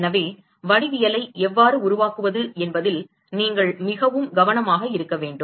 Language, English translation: Tamil, So, you have to be very careful how you construct the geometry